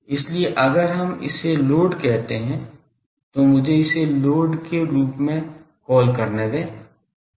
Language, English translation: Hindi, So, if we this is a load let me call this is a load